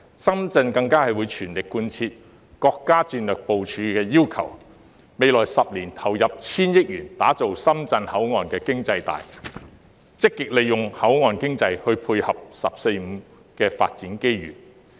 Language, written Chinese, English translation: Cantonese, 深圳更會全力貫徹國家戰略部署要求，未來10年投入千億元打造深港口岸經濟帶，積極利用口岸經濟帶配合"十四五"發展機遇。, Shenzhen will also work at full steam to align itself with the national strategic initiatives by making enormous investments in establishing the Shenzhen - Hong Kong port economy belt in the coming decade so as to capitalize on the port economy belt to grasp the development opportunities brought about by the 14 Five - Year Plan